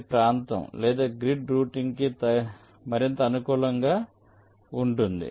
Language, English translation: Telugu, this is more suitable for area or grid routing